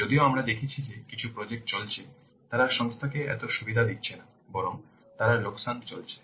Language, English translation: Bengali, While we have seen that some of the projects which are running they are not giving so much benefit to the organization rather they are incurring losses